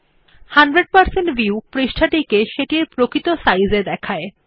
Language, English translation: Bengali, 100% view will display the page in its actual size